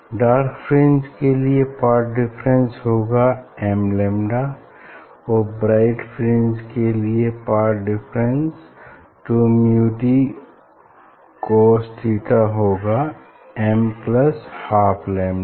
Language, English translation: Hindi, condition for dark fringe is same, this is the path difference equal to m lambda and for fringe 2 mu d cos theta equal to m plus half lambda